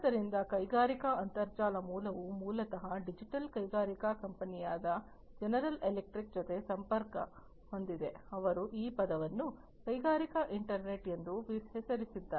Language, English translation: Kannada, So, industrial internet the origin is basically linked to the digital industrial company General Electric, who coined this term industrial internet